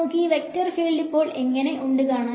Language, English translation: Malayalam, Now how does this vector field look like